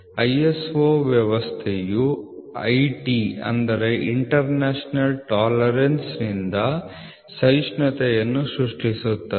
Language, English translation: Kannada, The ISO system provides tolerance creates from IT